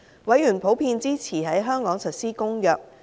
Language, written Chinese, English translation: Cantonese, 委員普遍支持在香港實施《公約》。, Members generally supported the implementation of the Convention in Hong Kong